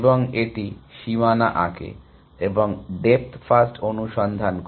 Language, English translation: Bengali, And it draws at boundary and does that depth first search on this